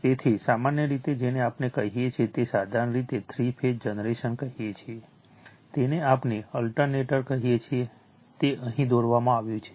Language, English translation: Gujarati, So, generally you your what we call that a simple your what you call three phase generator, we call alternator have been drawn here right